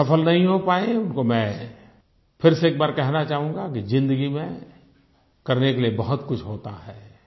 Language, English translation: Hindi, And those who were not able to succeed, I would like to tell them once again that there is a lot to do in life